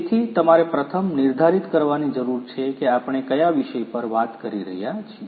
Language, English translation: Gujarati, So, you need to first define which subject we are talking about